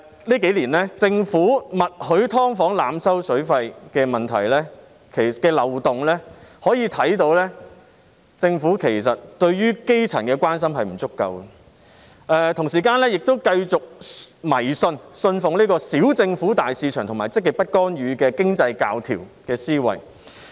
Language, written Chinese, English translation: Cantonese, 這幾年，政府默許"劏房"濫收水費的問題和漏洞，可見政府其實對於基層的關心並不足夠，同時亦繼續信奉"小政府、大市場"及積極不干預的經濟教條的思維。, In these few years the Government has been giving tacit consent to overcharging for the use of water by tenants of subdivided units which shows that the Government has not given enough care to the grass roots . At the same time it continues to uphold the economic principles of small government big market and positive non - intervention